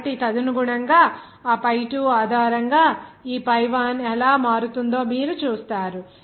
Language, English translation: Telugu, So accordingly, you will see how this pi1 will be changing based on that pi2